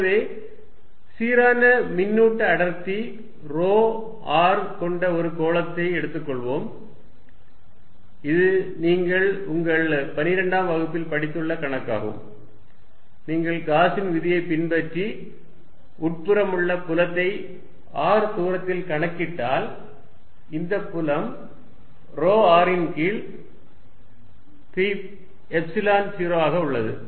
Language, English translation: Tamil, So, let us take a sphere with uniform charge density rho r and this problem you have solved in your 12th grade, if you apply Gauss’s law and calculate the field inside at a distance r this field comes out to be rho r by 3 Epsilon naught